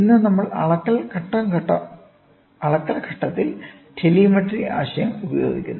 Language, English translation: Malayalam, So, today we also use telemetry concept in the measurement stage